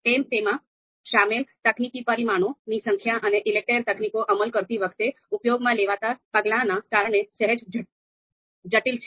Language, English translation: Gujarati, Slightly complex because of the number of technical parameters that are involved and the steps that we have to perform while implementing the ELECTRE technique